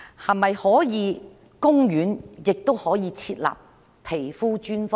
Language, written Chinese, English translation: Cantonese, 可否在公立醫院設立皮膚專科呢？, Can specialist dermatology service be set up in public hospitals?